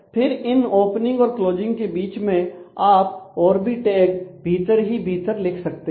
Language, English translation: Hindi, And then between the closing opening and the closing you can write more tabs in a nested manner